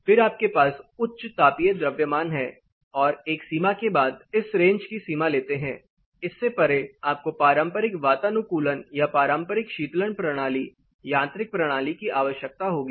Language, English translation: Hindi, Then you have high thermal mass and beyond certain boundary say take a boundary of this range, beyond this you will need conventional air conditioning system or a conventional cooling system, mechanical system